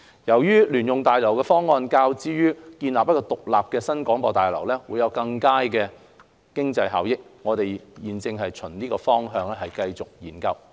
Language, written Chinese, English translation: Cantonese, 由於聯用大樓的方案較建造獨立的新廣播大樓會有更佳的經濟效益，我們現正循此方向進行研究。, As the option of constructing a joint - user building is more cost - effective than an independent New BH we have been exploring along this direction